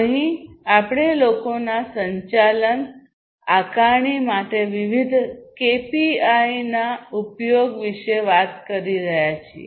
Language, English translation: Gujarati, Here basically we are talking about people management use of different KPIs to assess